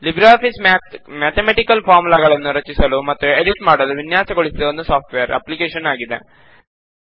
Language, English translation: Kannada, LibreOffice Math is a software application designed for creating and editing mathematical formulae